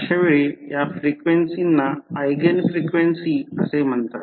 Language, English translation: Marathi, In that case, these frequencies are called as Eigen frequencies